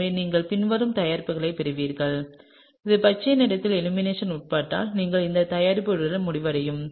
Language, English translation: Tamil, So, you will get the following product and if this, the green one undergoes elimination then you will end up with this product, right